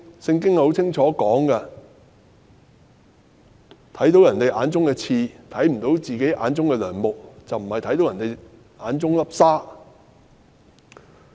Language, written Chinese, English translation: Cantonese, 《聖經》清楚寫道，是看見別人眼中的刺，但卻看不見自己眼中的樑木而非沙。, The Bible says clearly look at the speck of sawdust in your brothers eye and pay no attention to the plank in your own eye rather than grain of sand